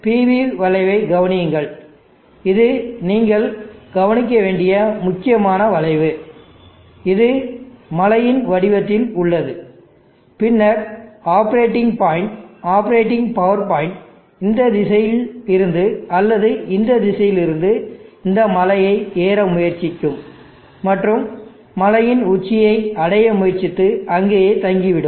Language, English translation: Tamil, So observe the PV curve this is the important curve that you need to note here, this is in the shape of hill and then the operating point the operating power point will climb this hill either from this direction or this direction and try to reach the top and stay in the top